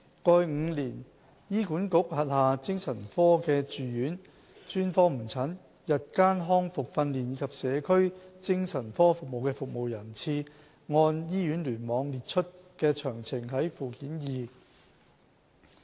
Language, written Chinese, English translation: Cantonese, 過去5年醫管局轄下精神科的住院、專科門診、日間復康訓練及社區精神科服務的服務人次，按醫院聯網列出的詳情見附件二。, The numbers of attendances for inpatient SOP daytime rehabilitative training and community psychiatric services in the past five years by hospital cluster are set out at Annex 2